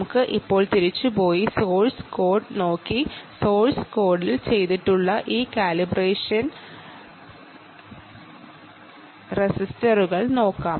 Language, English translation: Malayalam, let us now go back and look at the source code and look at this calibration resistors, which are done in the source code, ah